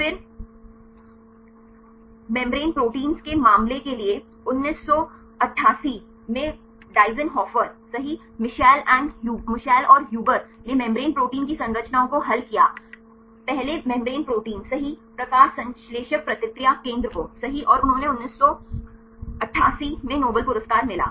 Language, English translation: Hindi, Then for the case of membrane proteins right in 1988 Deisenhofer right Michel and Huber they solve the structures of the membrane; first membrane protein right the photosynthetic reaction center and they got Nobel Prize in 1988